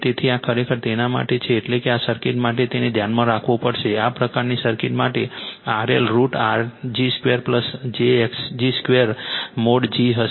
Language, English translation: Gujarati, So, this is actually for that means that means for this circuit you have to keep it in mind, for this kind of circuit R L will be your root over R g square plus j x g square is equal to mod g right